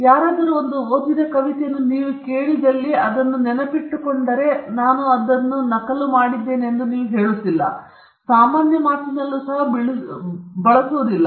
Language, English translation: Kannada, We don’t not say that if you heard somebody reciting a poem to you, and if you memorize it, you say that I made a copy of it; you do not use that even in common parlance